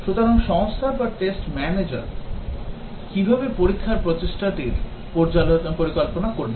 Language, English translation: Bengali, So, how would the company or the test manager plan the test effort